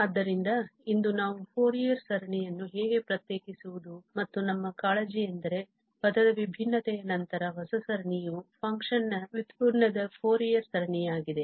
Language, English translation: Kannada, So, today we will cover how to differentiate a Fourier series and the concern whether after differentiation, the term by term differentiation, the new series will it be a Fourier series of the derivative of the function